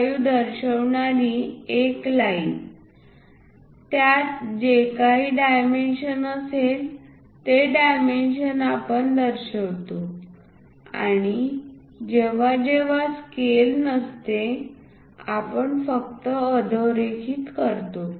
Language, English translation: Marathi, 75 whatever the dimension is involved in that, we show that that dimension and whenever not to scale we just leave a underlined